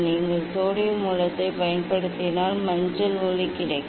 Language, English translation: Tamil, if you use sodium source you will get yellow light